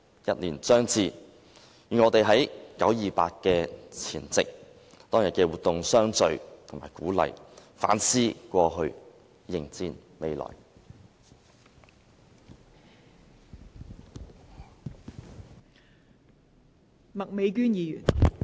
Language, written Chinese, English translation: Cantonese, 一年將至，願我們在九二八的前夕，在當天的活動中相聚和鼓勵，反思過去，迎戰未來。, As the first anniversary approaches let us hope that we can all re - unite and encourage one another in the activity on the eve of 28 September . Let us all recap the past and face the upcoming challenges